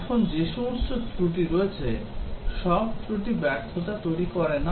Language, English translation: Bengali, Now all faults that are there, all faults they may not cause failures